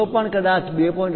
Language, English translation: Gujarati, If anything 2